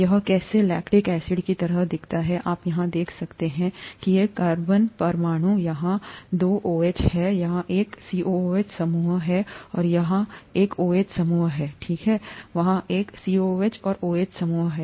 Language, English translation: Hindi, This is how lactic acid looks like, you see here these are the carbon atoms, here there are two OHs here, this is a COOH group here and this is an OH group here, okay, there are, this is a COOH and a OH group here